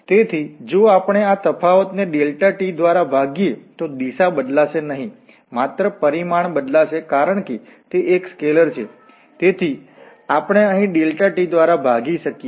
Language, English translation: Gujarati, So, if we divide this difference by delta t, the direction will not change, only the magnitude will change because delta t is a scalar quantity, so, we can divide here by delta t